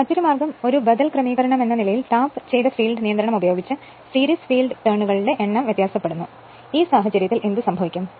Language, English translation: Malayalam, Another way is that as an alternative arrangement, the number of series field turns are varied by employing a tapped field control, in this case what happen